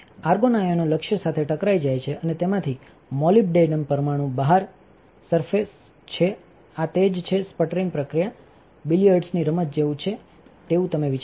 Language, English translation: Gujarati, The argon ions collide with the target and eject molybdenum atoms from it is surface, this is what the sputtering process is all about in a way it resembles a game of billiards, do not you think